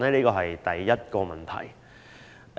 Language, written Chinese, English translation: Cantonese, 這是第一個問題。, This is the first question